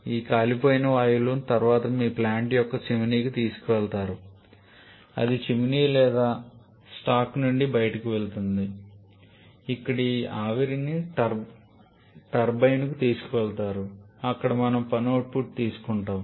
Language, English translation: Telugu, These burnt out gases are subsequently taken to the chimney of your plant from where that goes off chimney or stack where this steam is taken to the turbine where we have the work output taken